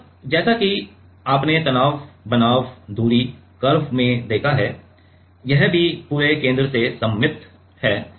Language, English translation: Hindi, And, as you have seen the stress versus distance curve it is also symmetric across the center